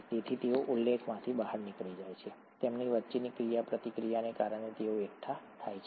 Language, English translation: Gujarati, Therefore they fall out of solution, they aggregate because of the interactions between them